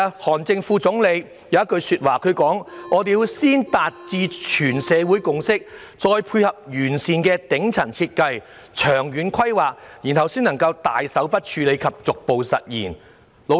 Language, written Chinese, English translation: Cantonese, 韓正副總理曾指出，必須先達致全社會共識，再配合完善的頂層設計、長遠規劃，然後才能大手筆處理及逐步實現。, As pointed out by Vice Premier HAN Zheng a social consensus should first of all be reached and decisive and sweeping measures can then be taken to resolve the problem gradually with sophisticated top - level design and long - term planning